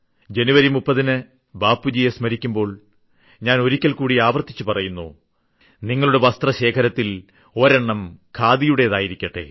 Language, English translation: Malayalam, And on January 30, when we rememeber Respected Bapu, I repeat atleast make it necessary to keep one khadi among many of your garments, and become an supporter for the same